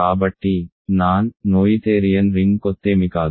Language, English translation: Telugu, So, not non noetherian ring are strange